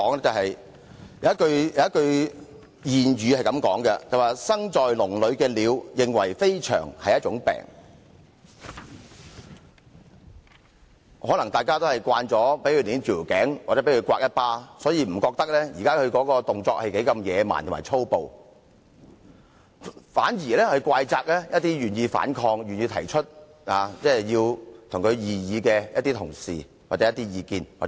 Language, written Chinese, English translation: Cantonese, 有一句諺語是"生在籠裏的鳥認為飛翔是一種病"，可能大家已經習慣被扼頸或掌摑，所以不認為她現在的動作如何野蠻和粗暴，反而怪責一些願意反抗、願意提出異議的同事或團體。, Well birds born in a cage think flying is an illness I should say . Some Members are so used to all the slapping and throttling that they do not consider her behaviour barbaric and rude . Instead they blame other Members or those organizations that bother to voice objection